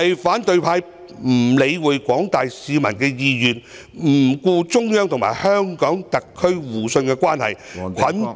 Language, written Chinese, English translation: Cantonese, 反對派不理會廣大市民的意願，不顧中央和香港特區互信的關係，捆綁......, The opposition camp paid no heed to the wish of the general public and the mutual trust between the Central Government and the SAR Government bundling